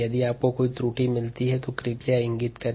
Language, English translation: Hindi, if you find an error, please point it out